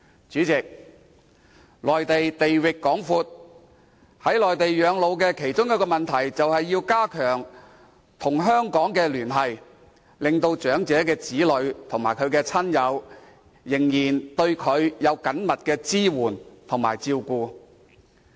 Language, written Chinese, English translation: Cantonese, 主席，內地地域廣闊，在內地養老其中一個問題，便是如何加強與香港的聯繫，令長者與子女及親友仍緊密聯繫，並得到支援和照顧。, President the Mainland covers a vast expanse of land . Another issue about retiring in the Mainland concerns how to strengthen the elderlys connection with Hong Kong to enable them to maintain close connection with their children relatives and friends while obtaining care and support